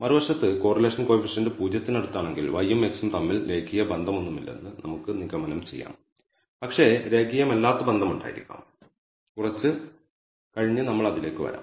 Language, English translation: Malayalam, On the other hand if the correlation coefficient is close to 0 all we can conclude from then is perhaps there is no linear relationship between y and x, but perhaps there is non linear association so, we will come to that a little later